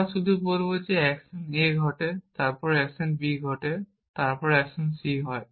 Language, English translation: Bengali, We will just say action a happens, then action b happens, then action c happens